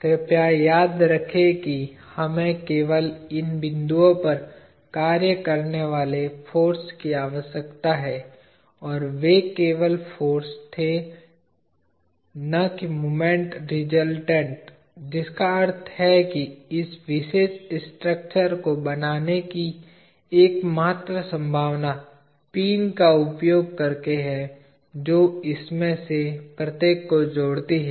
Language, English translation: Hindi, Please remember that we need to have forces acting only at these points and they had be only forces and not moment resultants, which means the only possibility of forming this particular structure is by using pins that join each one of this